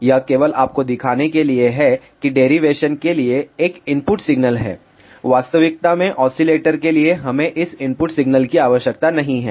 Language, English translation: Hindi, This is only to show you there is a input signal for derivation; in reality for oscillator we do not require this input signal